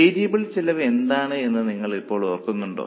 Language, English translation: Malayalam, So, do you remember now what is a variable cost